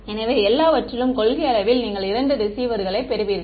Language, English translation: Tamil, So, in principle just two receivers you will get everything